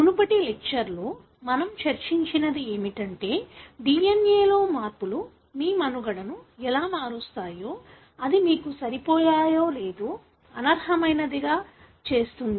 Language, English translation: Telugu, So, what we discussed in the previous lecture is that how the changes in the DNA can alter your survival, whether it makes you fit or unfit